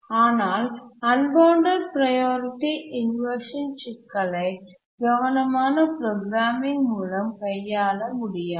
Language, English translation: Tamil, We can solve the simple priority inversion problem through careful programming